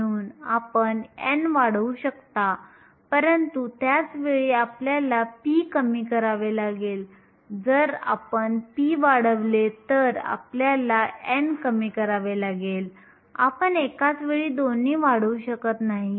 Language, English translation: Marathi, So, you can increase n, but at the same time you will have to decrease p, if you increase p, you will have to decrease n, you cannot increase both of them at the same time